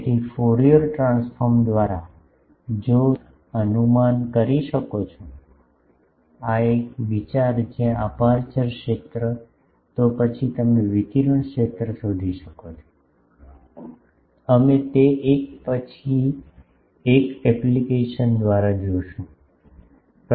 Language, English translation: Gujarati, So, by Fourier transform then if you can guess the, a think where aperture field, then you can find the radiated field, we will see one by one application of that